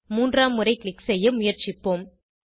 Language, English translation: Tamil, Try to click for the third time